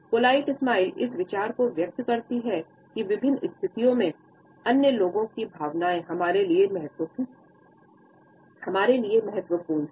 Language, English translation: Hindi, So, this polite smile conveys this idea that the feelings of other people are important to us in different situations